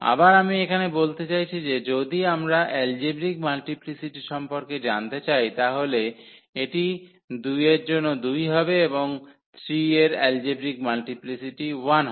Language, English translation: Bengali, Again I mean here, the if we want to know the algebraic multiplicity so it is 2 4 2 and the algebraic multiplicity of 3 is 1